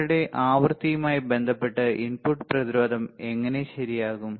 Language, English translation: Malayalam, With respect to your frequency how input resistance is going to change right